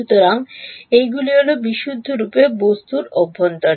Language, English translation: Bengali, So, these are the ones that are purely inside the object